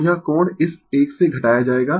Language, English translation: Hindi, So, this angle will be subtracted from this one